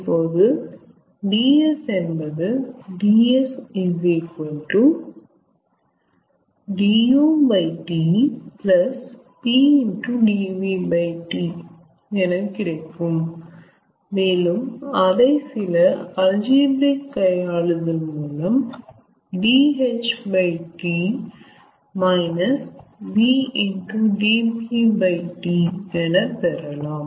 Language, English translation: Tamil, ds then can be obtained as du by t plus pdv by t, and by some sort of algebraic manipulation one can get dh by t minus vdp by t